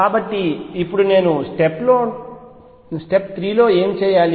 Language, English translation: Telugu, So, what do I do now step 3